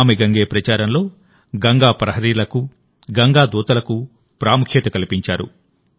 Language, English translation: Telugu, In the 'NamamiGange' campaign, Ganga Praharis and Ganga Doots also have a big role to play